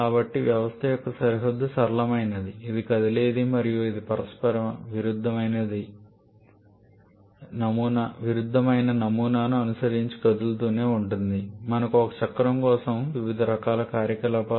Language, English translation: Telugu, So, the boundary of the system is flexible it is movable and as that keeps on moving following a reciprocating pattern we have different kinds of operations done for a cycle